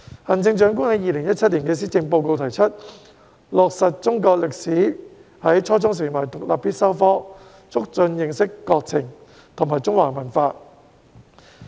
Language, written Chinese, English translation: Cantonese, 行政長官在2017年的施政報告提出落實中國歷史在初中成為獨立必修科，促進認識國情和中華文化。, In her 2017 Policy Address the Chief Executive proposed to make Chinese History an independent compulsory subject at the junior secondary level to foster understanding of the country and the Chinese culture